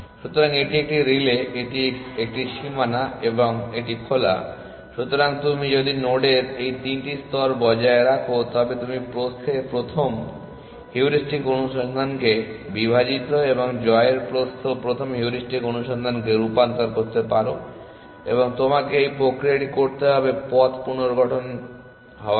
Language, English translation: Bengali, So, this is a relay, this is a boundary and this is open, so if you maintain this 3 layers of node you can convert breadth first heuristic search into divide and conquer breadth first heuristic search and you will have to do the same mechanism of reconstructing the path